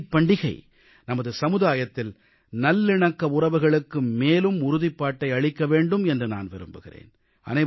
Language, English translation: Tamil, I hope that the festival of Eid will further strengthen the bonds of harmony in our society